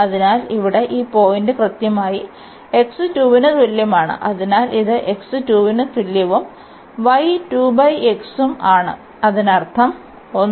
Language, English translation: Malayalam, So, this point here is a precisely x is equal to 2 and the y will be given by